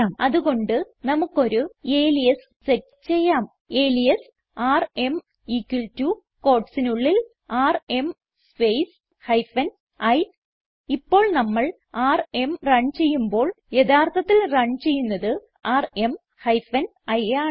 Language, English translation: Malayalam, So we may set an alias like, alias rm equal to, now within quotes rm space hyphen i Now when we run rm , rm hyphen iwill actually be run